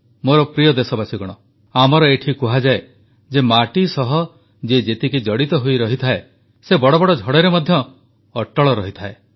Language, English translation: Odia, My dear countrymen, it is said here that the one who is rooted to the ground, is equally firm during the course of the biggest of storms